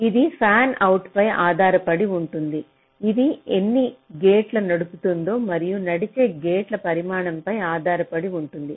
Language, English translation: Telugu, it depends on the fan out, how many gates it is driving and also the size of the driven gates